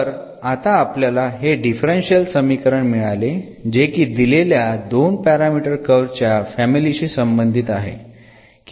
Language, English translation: Marathi, So, now, we got this differential equation here, which corresponds to this family of curves with two parameters